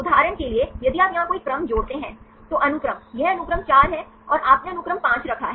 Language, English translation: Hindi, Yeah for example, if you add any sequence here, sequence, this is sequence 4, and you put sequence 5